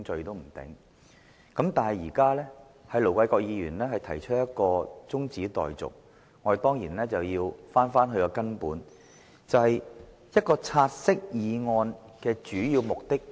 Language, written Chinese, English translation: Cantonese, 然而，鑒於盧議員動議將"察悉議案"的辯論中止待續，我們當然要回到根本，了解"察悉議案"的主要目的為何。, But as Ir Dr LO has moved that the debate on the take - note motion be now adjourned we certainly have to go back to the basics and understand more about the main objective of a take - note motion